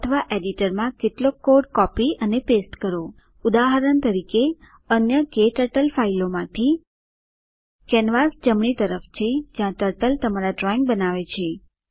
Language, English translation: Gujarati, Another way is to directly type your own code in the editor or copy/paste some code in the editor for example: from other KTurtle files Canvas is on the right, where Turtle makes your drawings